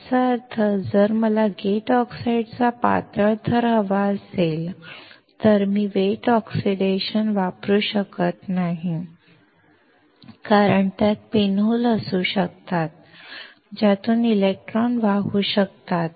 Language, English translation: Marathi, That means, if I want to have a thin layer of gate oxide, then I cannot use wet oxidation because it may have the pin holes through which the electron can flow